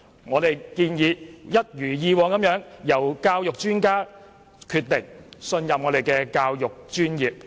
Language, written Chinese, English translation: Cantonese, 我們建議一如以往由教育專家決定有關內容，信任我們的教育專業。, As in the past we suggested that the relevant contents should be determined by education experts and that we should respect the education professions